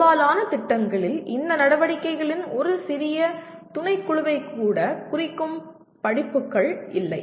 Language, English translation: Tamil, Majority of the programs do not have courses that address even a small subset of these activities